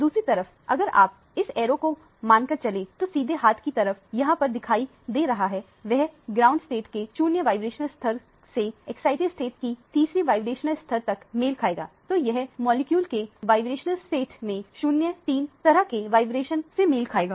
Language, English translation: Hindi, On the other hand, if you consider the one arrow that is shown here on the right hand side, this would correspond to the 0 vibrational level of the ground state to the third vibrational level of the excited state so it would correspond to a 0 3 kind of a vibration in the vibronic state of the molecule